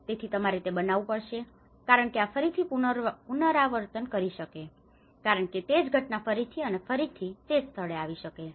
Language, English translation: Gujarati, So, there is you have to create that because this might repeat again because the same incident might occur again and again at the same place